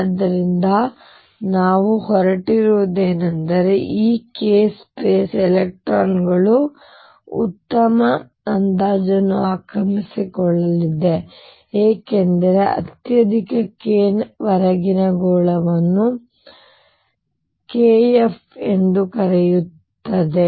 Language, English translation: Kannada, So, what we are going to have is that in this case space electrons are going to be occupied to a good approximation as sphere up to a highest k would also called k Fermi